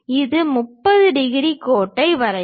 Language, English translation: Tamil, First we draw 30 degrees line